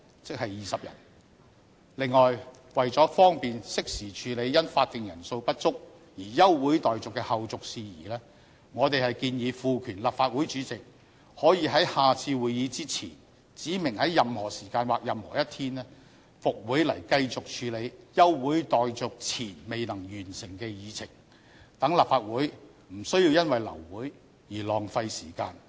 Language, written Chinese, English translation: Cantonese, 此外，為了方便適時處理因法定人數不足而休會待續的後續事宜，我們建議賦權立法會主席可以在下次會議前，指明在任何時間或任何一天復會來繼續處理休會待續前未能完成的議程，讓立法會不需要因為流會而浪費時間。, Moreover in order to handle in good time the outstanding business on the Agenda after the Council has been adjourned due to a lack of quorum we propose that the President of the Legislative Council be empowered to order a Council meeting to be resumed for the continuation of the unfinished business on the Agenda at any hour or on any day before the next meeting so that time will not be wasted due to termination of Council meeting